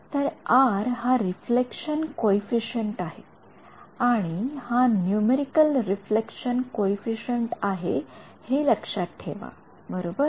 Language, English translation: Marathi, So, R is the reflection coefficient and this is remember the numerical reflection coefficient right